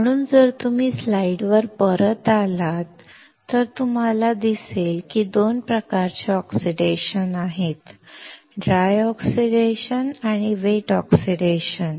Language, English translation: Marathi, So, if you come back to the slide you see that there are 2 types of oxidation; dry oxidation and wet oxidation